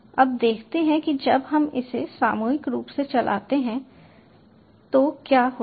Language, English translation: Hindi, now lets see what happens when the when we run this collectively